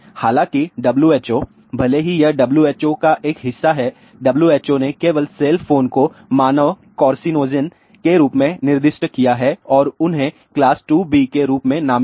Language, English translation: Hindi, However, WHO even though this is a part of WHO; WHO designated only cell phones as possible human carcinogen and they are designated as class 2B